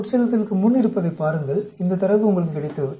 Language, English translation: Tamil, Look at before infusion, you got this data